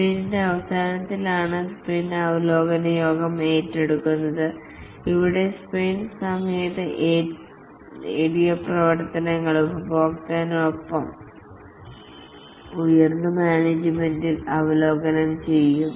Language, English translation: Malayalam, The sprint review meeting is undertaken at the end of the sprint and here the work that has been achieved during the sprint is reviewed along with the customer and the top management